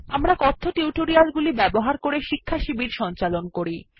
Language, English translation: Bengali, We conduct workshops using spoken tutorials